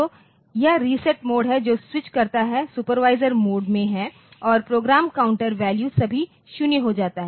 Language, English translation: Hindi, So, this reset the mode it switches is to supervisor mode and the program counter value becomes all 0